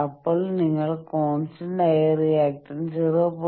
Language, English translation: Malayalam, Then you locate what is the constant reactants 0